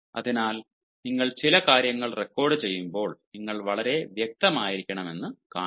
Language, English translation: Malayalam, so, while you are recording certain things, please see, you are to be very specific